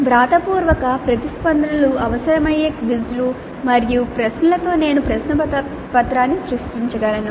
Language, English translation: Telugu, I could create a question paper with quizzes and questions which require written responses